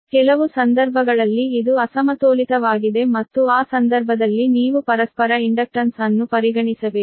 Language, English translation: Kannada, some cases it is unbalanced and in that case you have to consider the your, what you call that, your mutual inductances